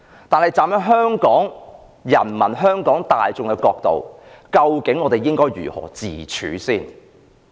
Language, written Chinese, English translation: Cantonese, 但是，站在香港市民、香港大眾的角度，究竟我應該如何自處？, However from the perspective of a Hongkonger and a member of the public how should I position myself?